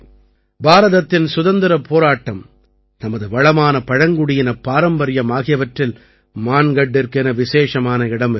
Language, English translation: Tamil, Mangarh has had a very special place in India's freedom struggle and our rich tribal heritage